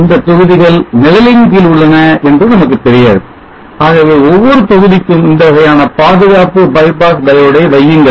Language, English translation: Tamil, We do not know which of the modules are having shading, so therefore you have put these kind of protection bypass diode to every module which is there in the circuit